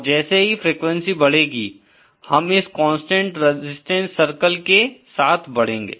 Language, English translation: Hindi, As the frequency increases, we will be moving along this constant resistance circle